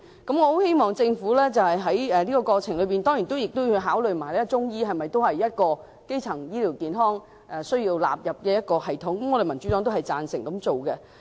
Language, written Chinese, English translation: Cantonese, 我希望政府在過程中考慮是否將中醫納入基層醫療健康系統，民主黨是贊成這樣做的。, I hope that in the process the Government can consider the inclusion or otherwise of Chinese medicine into the primary health care system . The Democratic Party agrees to so doing